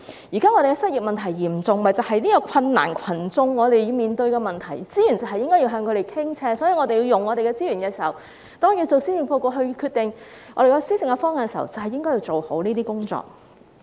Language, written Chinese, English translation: Cantonese, 現時失業問題嚴重，正是困難群眾要面對的問題，資源應向他們傾斜，所以在運用資源方面，在制訂施政報告、決定施政方向時，便應做好這些工作。, The present grave unemployment is precisely a problem faced by people in need of help . More resources should be directed to them . Therefore in formulating the Policy Address and deciding the policy direction such work on utilization of resources should be done properly